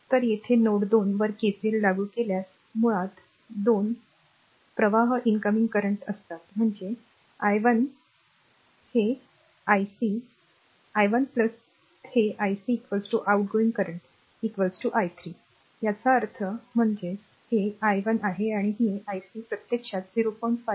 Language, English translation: Marathi, So, here ah if you apply KCL at node 2; So, basically 2 2 currents are incoming current, that is your i 1, i 1 plus this ic , right is equal to the outgoing current is equal to i 3 right; that means, your; that means, this is your i 1 and this is ic is actually 0